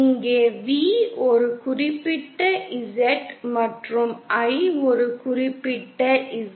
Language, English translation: Tamil, Where V at a particular Z and I at a particular Z